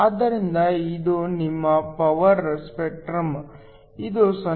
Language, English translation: Kannada, So, this is your power spectrum, this is 0